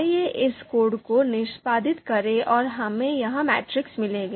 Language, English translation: Hindi, So let’s execute this code and we would get this matrix